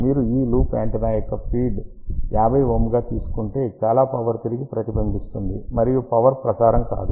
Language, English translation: Telugu, If you try to feed this loop antenna with 50 ohm, most of the power will get reflected back and nothing will transmit